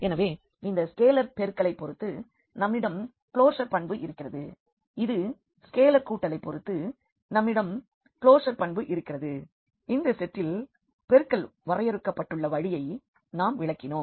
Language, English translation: Tamil, So, again we have the closure property with respect to this scalar multiplication, we have the closure property with respect to the addition and this addition is defined in this way which we have explained the multiplication is defined in this way for this set